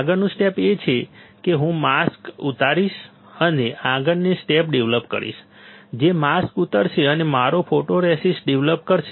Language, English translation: Gujarati, Next step is I will unload the mask and develop the next step, which is unload the mask and develop my photoresist